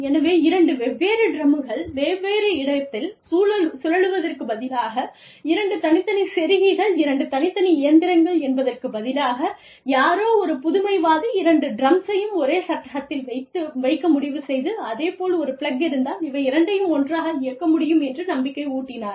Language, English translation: Tamil, So, instead of having two drums, rotating drums, in different places, two separate machines, that required two separate plugs, somebody, some innovator, decided to put, both the drums in the same frame, and have a same, have one plug, have one power source, hope to run both of these, together